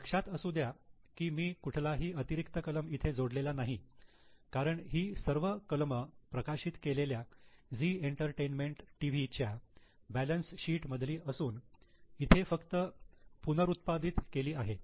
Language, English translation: Marathi, See, I have not added any extra items as the items are there in the actual published balance sheet of Z Entertainment TV are reproduced here